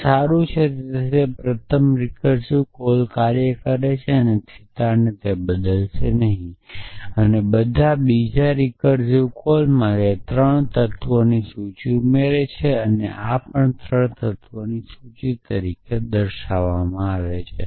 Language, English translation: Gujarati, So, that is fine so the first recursive call will work and it will not change theta at all the second recursive call has list of 3 elements and this also as a list of 3 elements